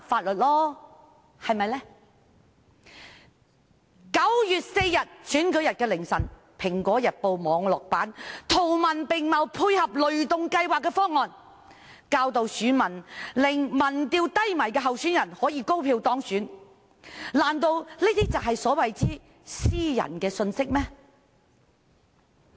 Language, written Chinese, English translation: Cantonese, 然而，在9月4日選舉日凌晨，《蘋果日報》網絡版圖文並茂配合雷動計劃的方案，教導選民如何令民調中落後的候選人高票當選，難道這些都是所謂的私人信息？, However in the early hours of the polling day on 4 September in coordination with the plan of the ThunderGo campaign the online version of Apple Daily published graphical and textual instructions for voters with a view to enabling candidates lagging behind in polls to get elected by a wide margin